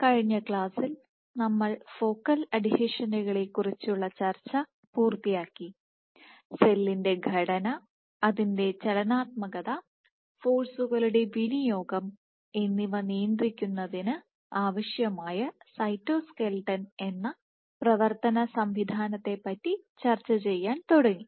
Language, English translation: Malayalam, So, in the last class we had completed our discussion of focal adhesions and started discussing cytoskeleton the machinery which is required for regulating the structure of the cell, its dynamics and for exertion of forces